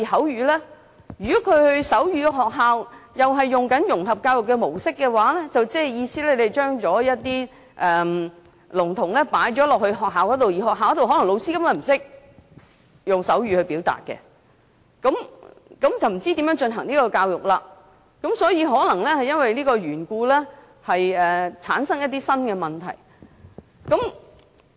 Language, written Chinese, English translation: Cantonese, 如果他們入讀採用融合教育模式的學校的話，即是說，聾童就讀學校的老師根本不懂得用手語，那麼不知他們怎樣接受教育了，而因為這個緣故，可能會產生新的問題。, If they are to enter integrated education schools that is schools where the teachers themselves do not know any sign language we really do not know how they are going to receive education . And for this reason many new problems will arise